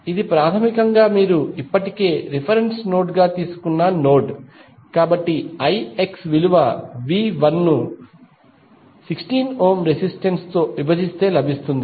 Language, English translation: Telugu, That is basically the node you have already taken as a reference node, so the I X would be V 1 divided by the 16 ohm resistance, so V 1 by 16 is I X